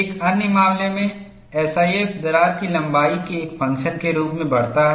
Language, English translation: Hindi, The other example they chose was, the SIF increases as a function of crack length